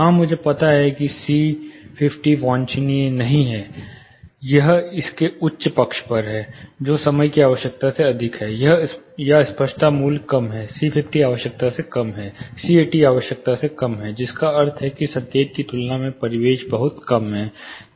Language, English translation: Hindi, Yes, I know now that c 50 is not desirable, it is on the higher side of it you know which is more than what the time is needed, or the clarity value is lesser; c 50 is lesser than what is required, c 80 is lesser than what is required, which means the ambiant is more initial, is much lesser than signal is lesser